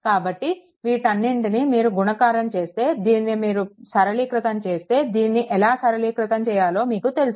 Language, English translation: Telugu, So, if you multiplied this all this things if you simplify you know how to simplify it